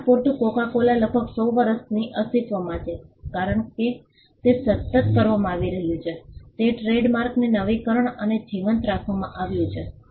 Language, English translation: Gujarati, For instance, Coca Cola has been in existence for about 100 years, because it has been constantly it renewed the trademark has been constantly renewed and kept alive